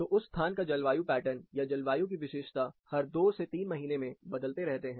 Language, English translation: Hindi, So, 2 to 3 months the climate pattern or characteristic, of that location keeps changing